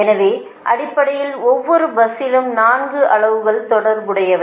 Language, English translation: Tamil, so basically, four quantities are associated with each bus, right